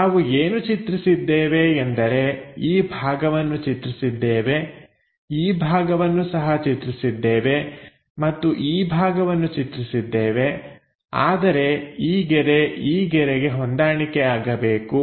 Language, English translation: Kannada, What we have drawn is; this portion we have drawn, this one also we have drawn and this portion we have drawn, but this line supposed to match this line